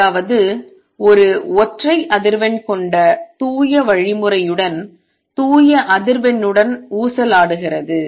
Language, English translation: Tamil, That means, oscillating with a pure frequency with a pure means with a single frequency